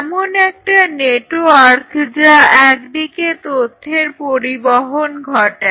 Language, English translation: Bengali, A network which follows a information transfer in a direction